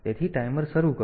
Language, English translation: Gujarati, So, the timer will start